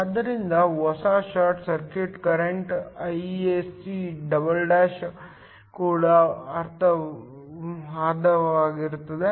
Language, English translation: Kannada, So, the new short circuit current Isc'' will also be half